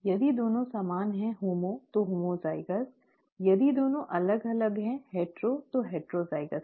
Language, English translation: Hindi, If both are the same, homo, so homozygous, if both are different, hetero, so heterozygous